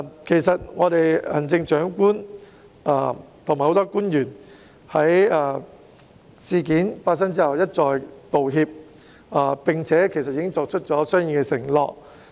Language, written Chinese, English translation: Cantonese, 其實行政長官和很多官員在事件發生後一再道歉，並已作出相應的承諾。, In fact the Chief Executive and many officials have repeatedly tendered apologies after the incident and made correspondingly commitment